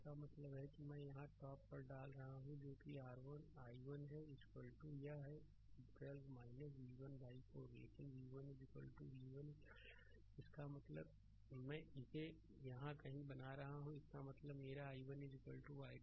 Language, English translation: Hindi, That means here I am putting on top that is your i 1 is equal to it is 12 minus v 1 by 4 right, but v 1 is equal to v v 1 is equal to v ; that means, I am making it somewhere here; that means, my i 1 is equal to 12 minus v by 4 right